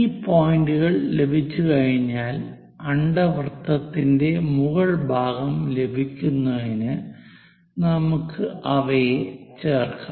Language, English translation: Malayalam, Once we have these points, we join them, so the top part of that ellipse we will get